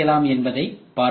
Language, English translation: Tamil, So, you can look at it